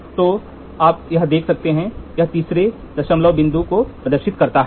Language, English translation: Hindi, So, you can see here it displays to the third decimal point